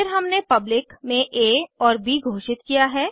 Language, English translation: Hindi, Then we have a and b declared as public